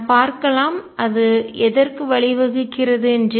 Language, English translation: Tamil, Let us see; what does that lead to